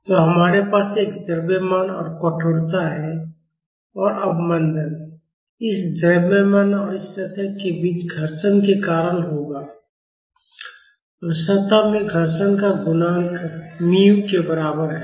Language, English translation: Hindi, So, we have a mass and stiffness and the damping will be due to the friction between this mass and this surface; and the coefficient of friction in the surface is equal to mu(µ)